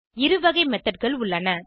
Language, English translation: Tamil, There are two types of methods